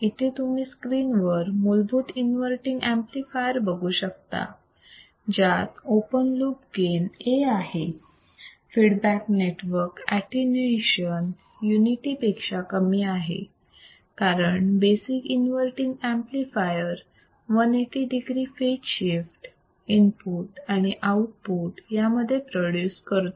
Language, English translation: Marathi, So, if you see the screen what we find is that considering a basic inverting amplifier with an open loop gain A, the feedback network attenuation beta is less than a unity as a basic amplifier inverting it produces a phase shift of 180 degree between input and output as shown in figure right